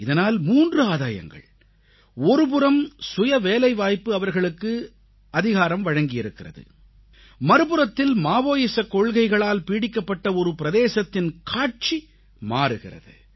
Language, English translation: Tamil, This has three benefits on the one hand selfemployment has empowered them; on the other, the Maoist infested region is witnessing a transformation